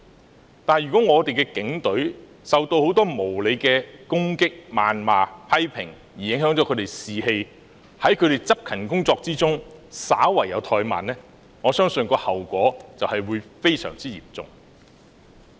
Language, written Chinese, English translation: Cantonese, 此外，如果我們的警隊受到很多無理的攻擊、謾罵及批評，因而影響他們的士氣，導致他們在執勤工作中稍有怠慢，我相信後果會非常嚴重。, Besides if our Police Force are subjected to loads of unreasonable attacks reproaches and criticisms thus affecting their morale and resulting in slight negligence in their discharge of duties I believe the consequences would be most serious